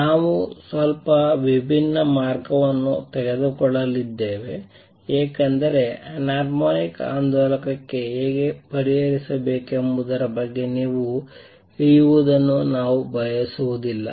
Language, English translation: Kannada, We are going to take a slightly different route because I do not want you to get walked down on how to solve for anharmonic oscillator